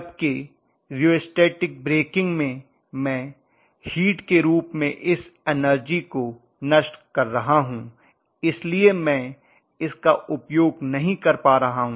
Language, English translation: Hindi, Whereas in rheostatic breaking I am dissipating that energy in the form of heat, so I am not utilizing it